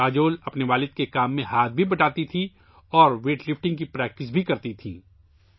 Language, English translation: Urdu, Kajol would help her father and practice weight lifting as well